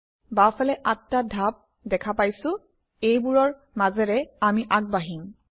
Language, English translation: Assamese, On the left, we see 8 steps that we will go through